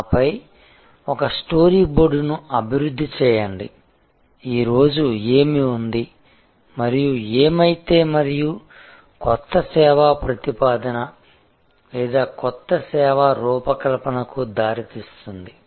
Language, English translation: Telugu, And then, develop a story board that what is today and what if and resulting into the new service proposal or new service design